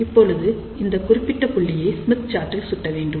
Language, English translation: Tamil, So, now, we have to locate this particular point on the Smith chart